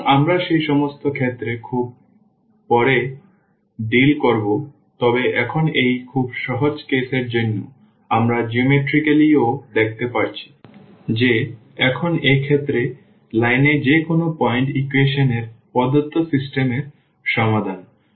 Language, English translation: Bengali, So, that we will deal little later all those cases, but here for this very simple case we can see this geometrically also that now, in this case any point on the line is the solution of the given system of equations